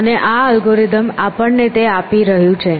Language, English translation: Gujarati, What would be the algorithm for doing that